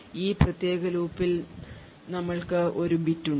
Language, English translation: Malayalam, In this particular loop we have a bit